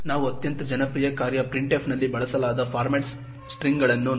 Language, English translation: Kannada, Let us look at format strings used in the most popular function printf